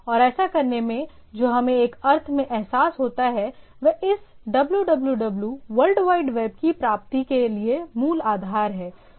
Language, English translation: Hindi, And in doing so, what we get realized in a in a sense, it is the basic foundation to for the realization of this dub dub dub www world wide web